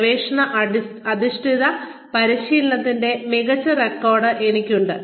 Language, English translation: Malayalam, I have an excellent record of research based training